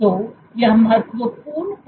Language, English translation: Hindi, So, this is of key relevance